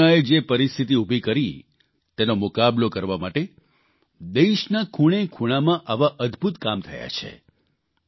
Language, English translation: Gujarati, Such amazing efforts have taken place in every corner of the country to counter whatever circumstances Corona created